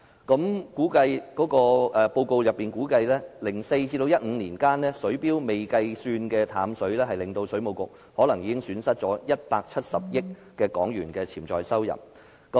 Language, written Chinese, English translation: Cantonese, 據報告書估計 ，2004 年至2015年年間，因水錶未能記錄的淡水用量可能已令水務署損失了170億港元的潛在收入。, According to the report the Water Supplies Department may have lost as much as HK17 billion of potential revenue between 2004 and 2015 from its unmetered fresh water alone